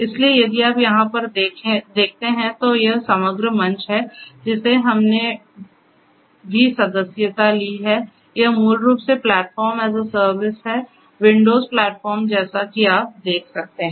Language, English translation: Hindi, So, if you look over here this is this overall platform that we have also subscribe to, this is basically the Platform as a Service; windows platform as you can see and this is this thing and we also